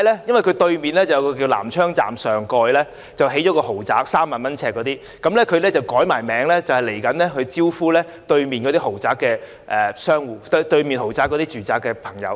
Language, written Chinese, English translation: Cantonese, 因為商場對面的南昌站上蓋興建了一個3萬元一平方呎的豪宅，而這商場易名就是要招待日後住在對面豪宅的居民。, A luxury housing estate of 30,000 per square foot has just been built on top of the Nam Cheong Station which is just opposite the shopping centre . The shopping centre is hence renamed to serve the future residents of the luxury development